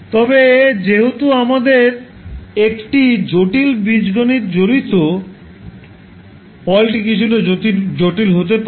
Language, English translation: Bengali, But since we have a complex Algebra involved, the result may be a little bit cumbersome